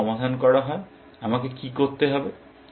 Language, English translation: Bengali, If this is solved, what do I need to do